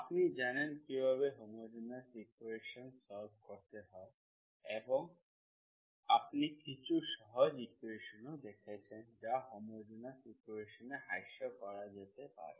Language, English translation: Bengali, you know how to solve homogeneous equations, we will see what are the other equations and also you have seen some simple equations that can be reduced to homogeneous equations